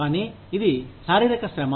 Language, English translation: Telugu, But, it is physical hard labor